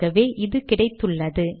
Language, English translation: Tamil, So I have this